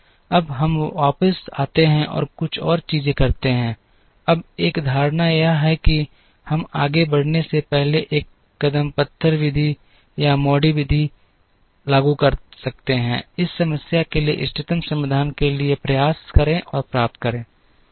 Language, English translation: Hindi, Now, let us come back and do a few more things, now one of the assumptions that we had of course, before I proceed one can now apply the stepping stone method or the MODI method, to try and get to the optimal solution for this problem